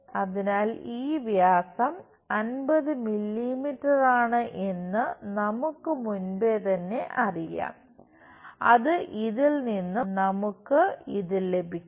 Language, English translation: Malayalam, So, this diameter is 50 mm we already know which we will get it from this